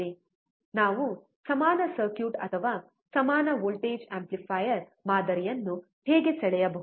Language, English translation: Kannada, That is how we can draw the equivalent circuit or equal voltage amplifier model